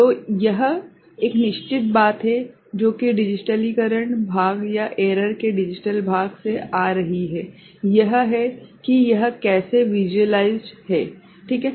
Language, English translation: Hindi, So, this is certain thing which is coming from the digitalization part or digital part of the error that is how it is you know visualized ok